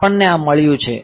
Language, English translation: Gujarati, So, we have got this